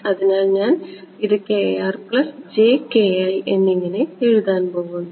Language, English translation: Malayalam, So, what I will do is I am going to write this as a plus